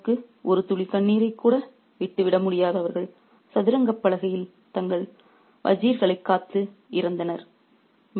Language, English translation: Tamil, They who could not spare a single drop of tear for the king died defending their wies on the chessboard